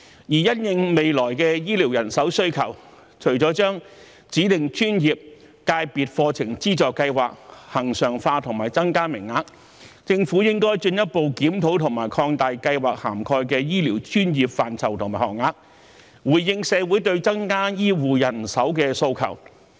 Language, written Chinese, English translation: Cantonese, 因應未來的醫療人手需求，除了將指定專業/界別課程資助計劃恆常化和增加名額外，政府還應進一步檢討和擴大計劃涵蓋的醫療專業範疇和學額，以回應社會對增加醫護人手的訴求。, In the light of the future demand for healthcare manpower apart from regularizing and increasing the number of places under the Study Subsidy Scheme for Designated ProfessionsSectors the Scheme the Government should also further review and expand the scope and number of places in respect of the healthcare disciplines covered by the Scheme to respond to the aspiration of the community for additional healthcare manpower